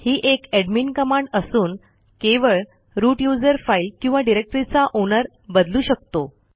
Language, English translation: Marathi, This is an admin command, root user only can change the owner of a file or directory